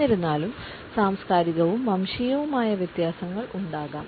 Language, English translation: Malayalam, However, there may be cultural and ethnic variations